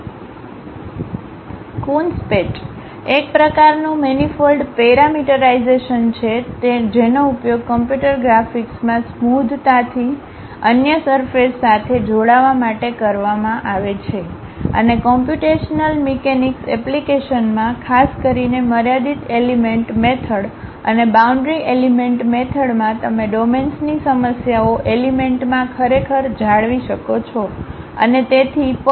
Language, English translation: Gujarati, A Coons patch, is a type of manifold parameterization used in computer graphics to smoothly join other surfaces together, and in computational mechanics applications, particularly in finite element methods and boundary element methods, you would like to really mesh the problems of domains into elements and so on